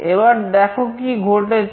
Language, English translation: Bengali, Now, see what has happened